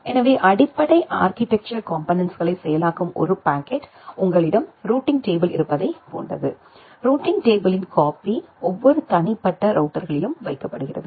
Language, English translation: Tamil, So, the per packet processing the basic architectural components are something like that you have a routing table, a copy of the routing table is put in every individual routers